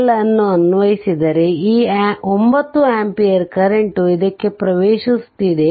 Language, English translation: Kannada, If you apply KCL so, this 9 ampere current is entering into this